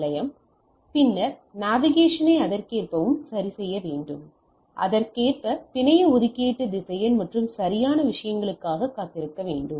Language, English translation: Tamil, Station, then adjust the NAV accordingly right so, the network allocation vector accordingly and wait for the things right